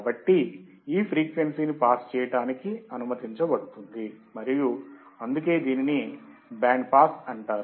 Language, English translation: Telugu, So, this frequency is allowed to pass and that is why it is called band pass